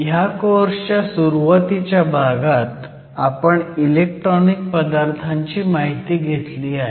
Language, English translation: Marathi, In the first few classes of this course, we have looked at Electronic Materials